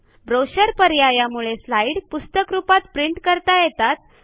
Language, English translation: Marathi, The next option, Brochure, allows us to print the slides as brochures, for easy binding